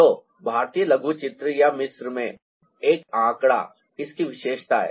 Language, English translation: Hindi, so a figure in indian miniature or in egypt